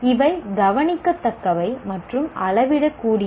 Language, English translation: Tamil, These are observable and measurable